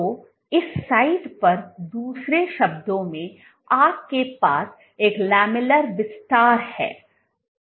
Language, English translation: Hindi, So, in other words at this site you have a lamellar expansion